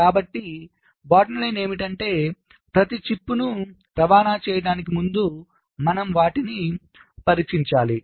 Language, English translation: Telugu, so the bottom line is we need to test each and every chip before they can be shipped